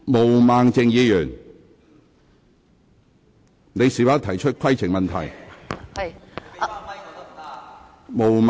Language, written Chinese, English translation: Cantonese, 毛孟靜議員，你是否有規程問題？, Ms Claudia MO do you have a point of order?